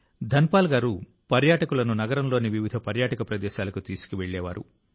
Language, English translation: Telugu, Dhanpal ji used to take tourists to various tourist places of the city